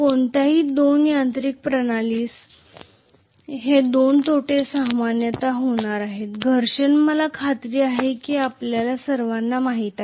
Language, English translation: Marathi, These are the two losses that are going to be there normally with any mechanical system, friction I am sure all of you know